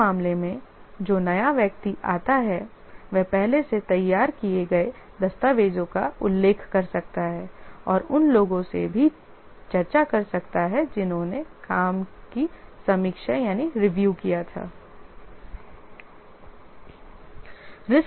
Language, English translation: Hindi, In this case, the new person who comes might refer to the documents already prepared and also discuss with others who have reviewed the work